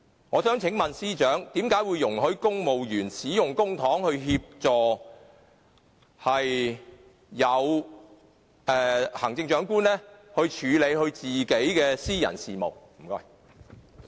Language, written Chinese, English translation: Cantonese, 我想請問司長，為甚麼會容許公務員使用公帑，以協助行政長官處理他的私人事務？, May I ask the Chief Secretary why civil servants are allowed to use public money to assist the Chief Executive in handling his personal affairs?